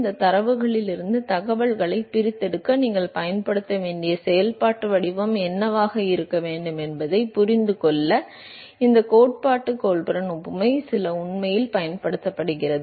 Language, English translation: Tamil, It is actually some of these theoretical Colburn analogy was use to understand what should be the functional form that you have to use to extract information from this data